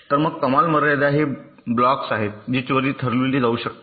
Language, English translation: Marathi, so ceiling is the blocks which can be moved immediately